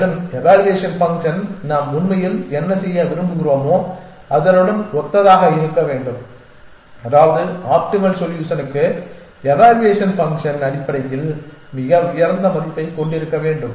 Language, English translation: Tamil, And ideally the evaluation function should be in sync with what we really want to do which means that for the optimal solution the evaluation function must have the highest value essentially